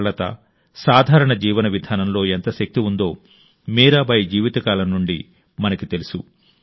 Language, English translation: Telugu, We come to know from the lifetime of Mirabai how much strength there is in simplicity and modesty